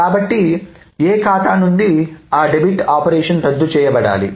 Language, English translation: Telugu, So that debit operation from A's account must be undone